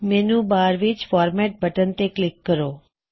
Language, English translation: Punjabi, Click on Format button on the menu bar